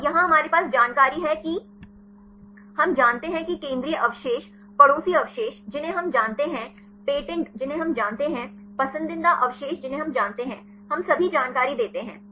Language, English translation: Hindi, And here we have information central residue we know, neighboring residues we know, patents we know, preferred residues we know; we give all the information